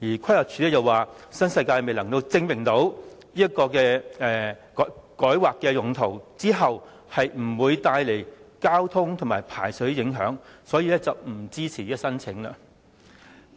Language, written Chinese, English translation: Cantonese, 規劃署亦表示，新世界未能證明改劃用途後不會帶來交通和排水方面的影響，所以不支持這項申請。, The Planning Department PlanD has also indicated that it does not support the application because of the failure of NWD to demonstrate that rezoning will not bring about traffic and drainage implications